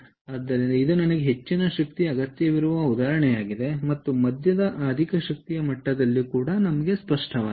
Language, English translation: Kannada, so that is an example where i need high energy as well as at a moderately high power level